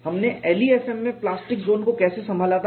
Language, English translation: Hindi, How did we handle plastic zone in LEFM